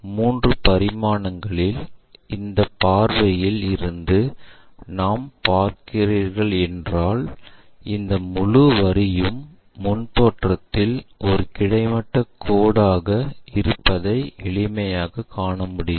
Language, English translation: Tamil, In three dimension we can easily see that if we are looking from this view, this entire line coincides and we will see a vertical line,we see a horizontal line in the front view